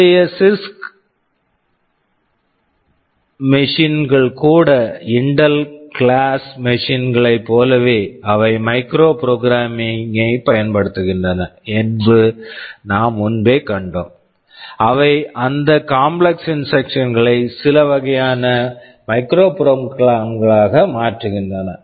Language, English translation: Tamil, Now I told earlier that even the CISC machines of today like the Intel class of machines they use micro programming, they translate those complex instructions into some kind of micro programs simpler instructions whichthat look more like the RISC instructions